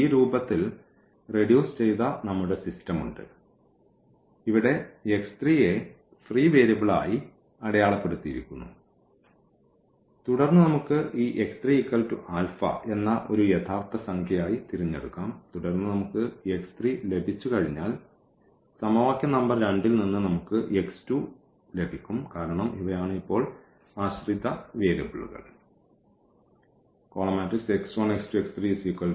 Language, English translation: Malayalam, We have our system which is reduced in this form and where x 3 we have denoted as marked as free variable and then we can choose this x 3 some alpha alpha as a real number and then once we have x 3 then from equation number 2, we will get x 2 because these are the dependent variables now